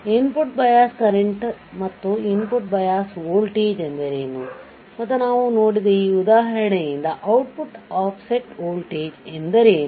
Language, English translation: Kannada, What is input bias current and what is input offset voltage and what is output offset voltage the the from this example what we have seen